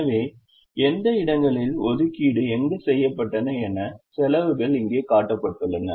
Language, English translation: Tamil, so the positions where the assignments have been made, the costs, are shown here